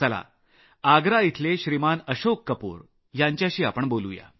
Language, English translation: Marathi, Come let us speak to Shriman Ashok Kapoor from Agra